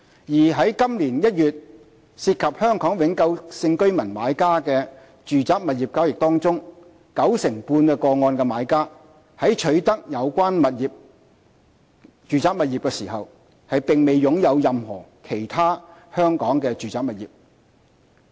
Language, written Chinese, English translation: Cantonese, 而在今年1月涉及香港永久性居民買家的住宅物業交易中，九成半個案的買家在取得有關住宅物業時並沒有擁有任何其他香港住宅物業。, In addition among those residential property transactions where the buyers are Hong Kong permanent residents in January this year 95 % involve buyers who do not own any other residential property in Hong Kong at the time of acquisition